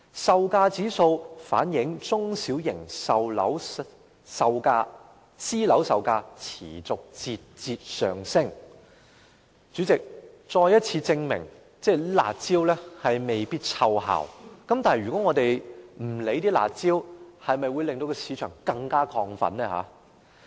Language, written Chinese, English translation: Cantonese, 售價指數反映中小型私樓售價持續節節上升，再次證明"辣招"未必奏效，但我們若不採取"辣招"，是否會令市場更亢奮？, The price indices reflect that the prices of small and medium private residential units have been on the increase which has proven once again that the curb measures may not work